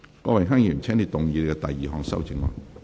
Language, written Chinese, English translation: Cantonese, 郭榮鏗議員，請動議你的第二項修正案。, Mr Dennis KWOK you may move your second amendment